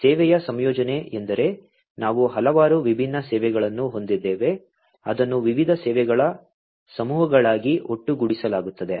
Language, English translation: Kannada, Service composition means like we will have multiple different services, which will be aggregated together into different clusters of services